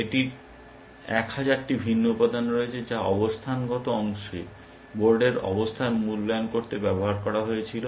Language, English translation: Bengali, It has a 1000 different component, which were use to evaluate the board position, in the positional part